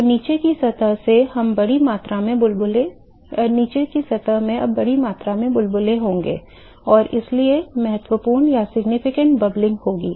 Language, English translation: Hindi, So, the bottom surface will now have significant amount of bubbles, and so, there will be significant bubbling